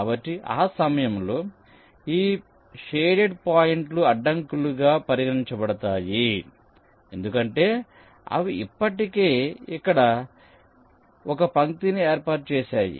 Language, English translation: Telugu, so during that time these shaded points will be regarded as obstacles because they have already laid out a live here